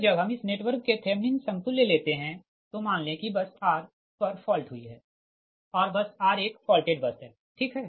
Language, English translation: Hindi, and that when we take the thevenin equivalent, when we take the thevenin equivalent of this network, suppose fault has occurred at bus r, bus r is a faulted bus, right